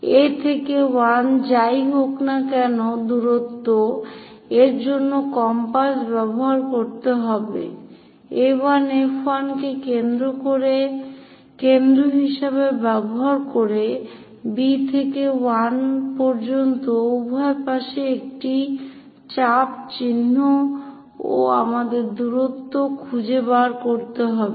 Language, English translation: Bengali, A to 1 whatever the distance use your compass A 1 use F 1 as centre mark an arc on both sides from B to 1 also we have to find the distance